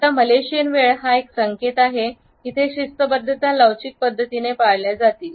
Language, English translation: Marathi, Now Malaysian time is an indication that the punctuality would be practiced in a fluid fashion